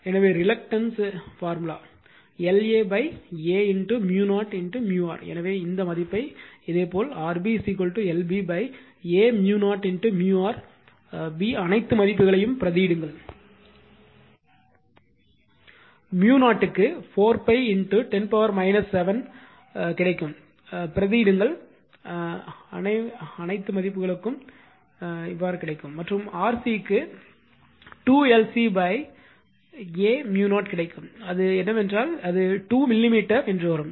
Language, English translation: Tamil, So, reluctance formula L A upon A mu 0 mu r A so, you will get this value similarly R B is equal to L B upon A mu 0 mu R B substitute all the values right, mu 0 you know 4 pi into 10 to the power minus 7, you substitute all you will get these value and R C will get 2 L C upon a mu 0 right, that is your what will get that is your whatever it comes that 2 millimeter